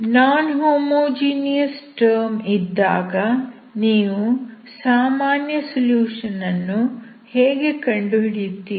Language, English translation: Kannada, If the non homogeneous term is there, how do you find the general solution